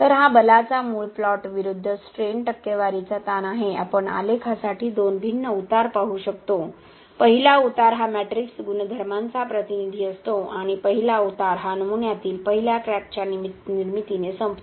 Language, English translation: Marathi, So, this is a basic plot of force versus strain percentage strain we can see two different slopes for the graph, first slope is representative of the matrix properties and the first slope is ended by the first crack formation in the specimen